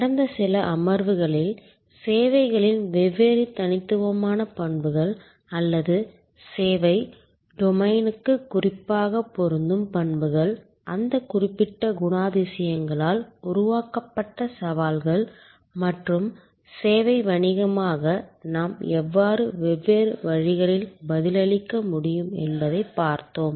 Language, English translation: Tamil, In the last few sessions, we have looked at the different unique characteristics of services or characteristics that particularly apply to the service domain, the challenges that are created by those particular characteristics and we have seen how in different ways as a service business we can respond to those challenges successfully